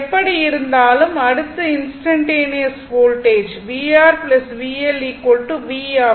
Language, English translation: Tamil, Anyway, so next is instantaneous voltage that is v R plus v L is equal to v